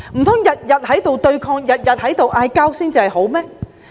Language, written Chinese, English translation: Cantonese, 難道整天對抗爭拗，才算是好嗎？, Could it be that fighting all day long is a good thing?